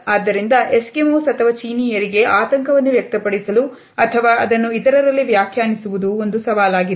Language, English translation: Kannada, Thus, would be a challenge for Eskimos or the Chinese to express anxiety or interpret it in other